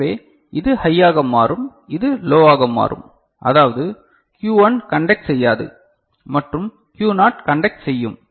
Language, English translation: Tamil, So, this will become high and this will become low right; that means, Q1 will not conduct and Q naught will conduct